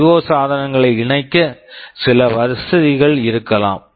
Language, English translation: Tamil, There can be some facility for connecting IO devices